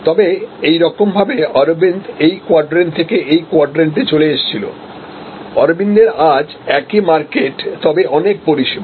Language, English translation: Bengali, But, in a way therefore, Arvind has moved from this quadrant to this quadrant, Arvind today, same market but many services